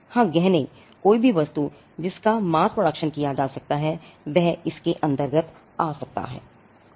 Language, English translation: Hindi, Yes jewelry, mass produced anything that is mass produced in a particular thing can come under this